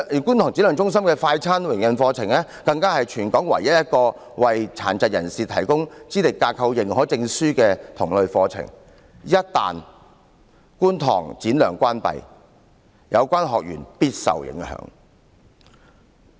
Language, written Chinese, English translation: Cantonese, 觀塘展亮中心的"快餐店營運課程"更是全港唯一一個為殘疾人士提供資歷架構認可證書的同類課程；一旦觀塘展亮中心關閉，其學員必定會受到影響。, The Fast Food Restaurant Operation Course of SSCKT is the only one in Hong Kong that provides a qualification certificate for the disabled . Once SSCKT is closed its students will definitely be affected